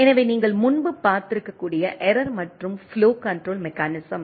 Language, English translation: Tamil, So, what we see here, in this sort of flow and error control mechanisms